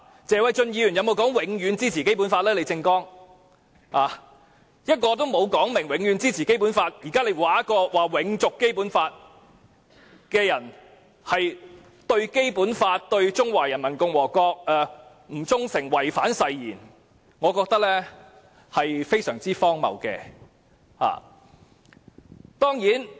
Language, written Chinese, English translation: Cantonese, 一個沒有表明會永遠支持《基本法》的人，如今竟指責一個要求永續《基本法》的人對《基本法》、對中華人民共和國不忠誠，違反誓言，我認為這是非常荒謬的。, A person who has not stated his continued support for the Basic Law is now accusing a person who has been advocating the sustaining of the Basic Law for being disloyal to the Basic Law and the Peoples Republic of China and violating his oath . I think this is utterly ludicrous